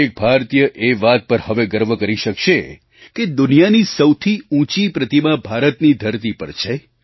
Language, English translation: Gujarati, Every Indian will now be proud to see the world's tallest statue here on Indian soil